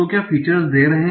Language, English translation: Hindi, So let us go to the features